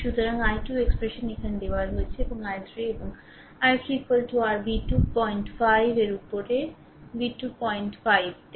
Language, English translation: Bengali, So, i 2 expression is given here right and i 3 and i 3 is equal to your v 2 upon 0